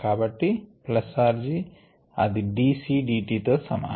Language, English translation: Telugu, therefore, plus r four equals d, b, d, t